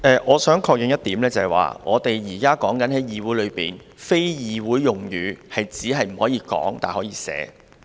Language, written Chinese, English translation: Cantonese, 我想確認一點，我們現在在議會內，非議會用語只是不可以說，但可以寫，對嗎？, I wish to seek confirmation of one point . Now in the Council is it that we are only forbidden to utter unparliamentary words but we can write them right?